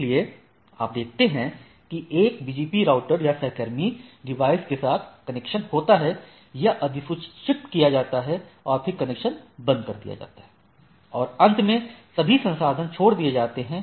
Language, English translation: Hindi, So, you see so once we see that the connection with one BGP router or the peer device is there, this is notified and the connection is closed, all resources are released